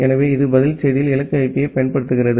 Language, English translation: Tamil, So, it uses destination IP in the reply message